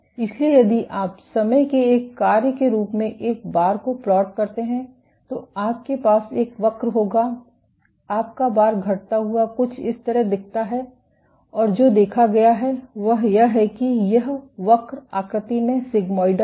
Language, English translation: Hindi, So, if you plot A bar as a function of time, you would have a curve you are A bar curves look something like this and what has been observed is this curve is sigmoidal in nature